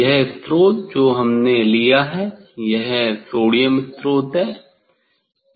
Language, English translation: Hindi, here this is the; this source, that source we have taken that is the sodium source